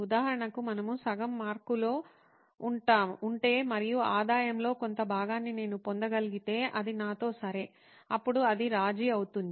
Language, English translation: Telugu, For example, we could settle at, well, if they are just halfway mark, and if I can get portion of the revenue, it’s okay with me, then that would be a compromise